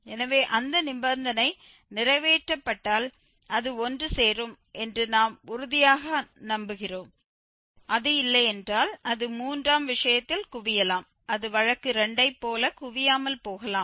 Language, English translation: Tamil, So, these are the sufficient conditions so if we have that condition fulfilled then we are sure that it will converge, if it is not then it may converge like in case 3, it may not converge like in case 2